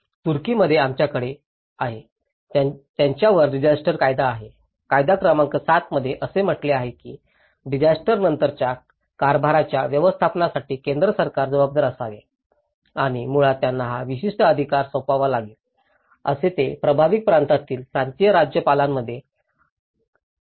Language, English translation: Marathi, In Turkey, we have; they also have a disaster law; law number 7 states that the central government, it should be responsible for the management of post disaster activities and basically, they have to delegates this particular authority with, they call it as kaymakam in the provincial governors in the affected region